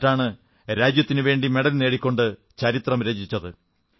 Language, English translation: Malayalam, And she has created history by winning a medal for the country